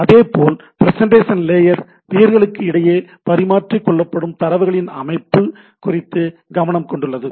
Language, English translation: Tamil, Similarly, then the present to presentation layer concerned about the format of exchange data format, that format of the data exchange between the peers